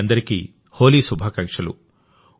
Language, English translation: Telugu, Happy Holi to all of you